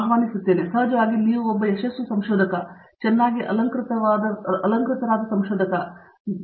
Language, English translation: Kannada, So, of course, you are yourself a very successful researcher, very well decorated researcher and so on